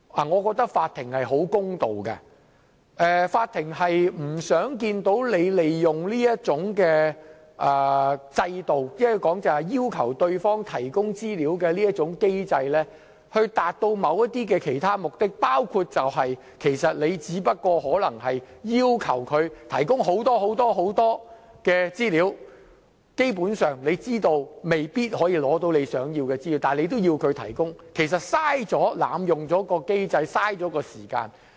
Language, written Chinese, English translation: Cantonese, 我認為法庭是十分公道的，法庭不想看見你利用制度，即要求對方提供資料的機制以達到某些其他目的，包括你其實只是要求別人提供很多、很多的資料，而基本上你知道未必可以取得你想得到的資料，但你仍要別人提供，這樣其實是在濫用機制，浪費時間。, For example you make use of the mechanism to request the other party to provide information in order to achieve certain other goals . These include a situation that you just request the other party to provide lots and lots of information but basically you know that you may not get the information you want yet you still request the other party to provide the information . In fact this practice is an abuse of the mechanism and a waste of time